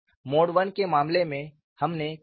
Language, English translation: Hindi, For the case of mode 1, what we did